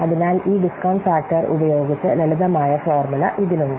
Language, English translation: Malayalam, So, this discount factor is based on the discount rate